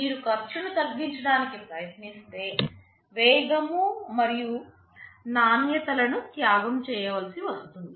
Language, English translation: Telugu, If you try to reduce the cost you will be sacrificing on the speed and quality and so on